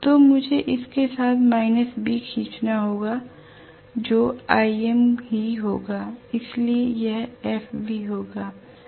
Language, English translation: Hindi, So I have to draw minus B along this which will be Im itself, so this will be FB right